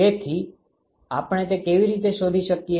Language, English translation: Gujarati, So, how do we find that